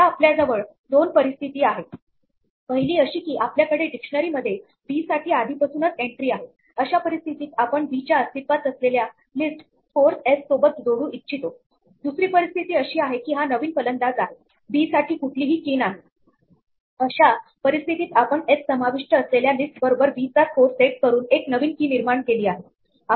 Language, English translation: Marathi, Now there are two situations one is that we already have an entry for b in the dictionary in which case we want to append s to the existing list scores of b the other situation is that this is a new batsman, there is no key for b in which case we have to create a key by setting scores of b equal to the list containing s right